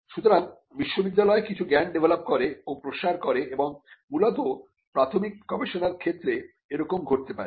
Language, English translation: Bengali, So, the university develop some knowledge and it disseminated it passed it on and this can happen largely in cases covering basic research